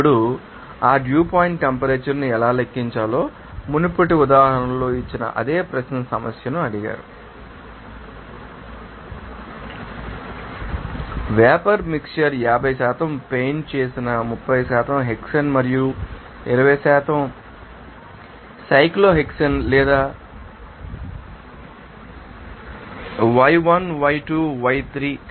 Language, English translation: Telugu, Now, how to calculate that dew point temperature accordingly like, you know, asked the same question problem given in previous example, like a vapor mixture contains 50% painted 30% hexane and 20% cyclohexane or y1, y2, y3